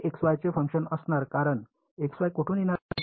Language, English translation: Marathi, It is going to be a function of x y because whereas, where is the x y going to come from